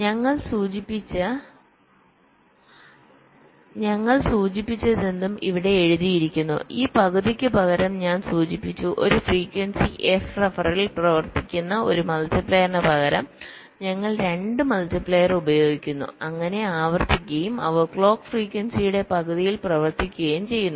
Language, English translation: Malayalam, i have mentioned, instead of this, half, instead of one multiplier running at a frequency f ref, we use two multipliers, so replicated, and they run at half the clock frequency